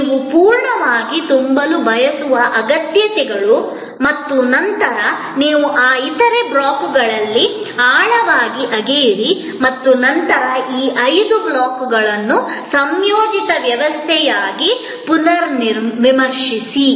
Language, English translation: Kannada, The needs that you want to full fill and then, you dig deeper into those other blocks and then, rethink of these five blocks as a composite system